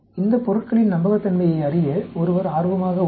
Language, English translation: Tamil, One is interested to know the reliability of these materials